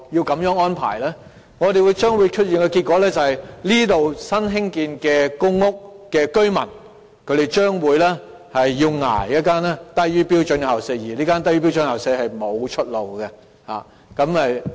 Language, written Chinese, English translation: Cantonese, 結果是那些居住在新建成公屋的居民，將要"忍受"一間"低於標準校舍"的學校，而這間"低於標準校舍"的學校沒有任何出路。, Eventually residents of the newly - constructed PRH will have to live with a school with sub - standard premises and this school with sub - standard premises can do nothing about it